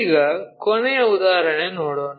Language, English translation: Kannada, Now, let us look at another example